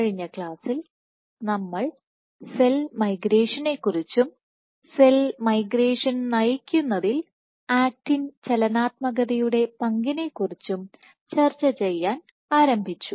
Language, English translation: Malayalam, So, in the last class we have been started to discussing about cell migration and the role of actin dynamics in driving cell migration